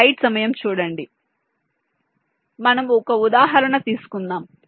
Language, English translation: Telugu, so we shall take an example